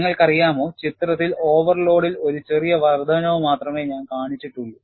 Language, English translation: Malayalam, You know, in the picture, I have shown only a smaller increase, in the overload